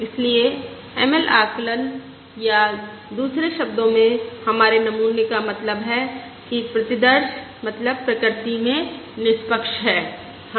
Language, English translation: Hindi, Therefore, the ML estimate, the ML estimate, or in another words, our sample mean, that is, the, the sample mean is is unbiased in nature